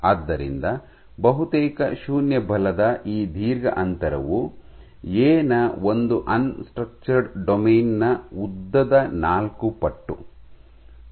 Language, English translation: Kannada, So, this long gap of almost 0 force is nothing, but 4 times the length of one unstructured domain of A